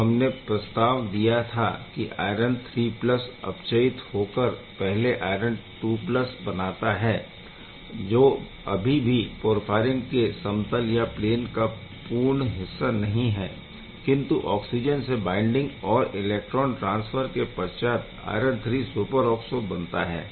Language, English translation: Hindi, So, what has been proposed that this iron III+ is getting reduced to iron II+ first still it is not part of the complete porphyrin plane upon oxygen binding and electron transfer, it forms the iron III superoxo